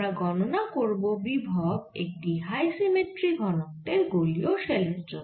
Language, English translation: Bengali, will calculate the potential due to a high symmetric density for spherical shell